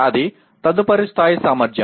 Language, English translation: Telugu, That is the next level capacity